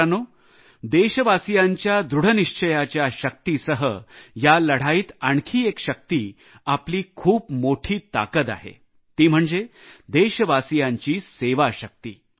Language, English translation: Marathi, in this fight, besides the resolve of our countrymen, the other biggest strength is their spirit of service